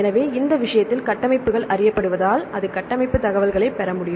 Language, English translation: Tamil, So, in this case, it needs to get the structure information because the structures are known